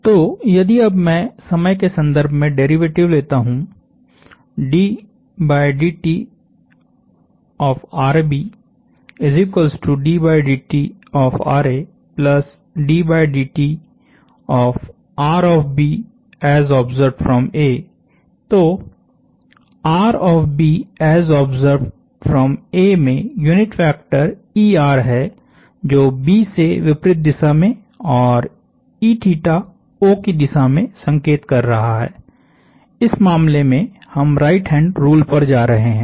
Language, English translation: Hindi, So, if I now take the time derivative of this; that r of B as observed by A has the unit vector er pointing away from B, and then e theta that is pointing towards O in this case going to a right hand rule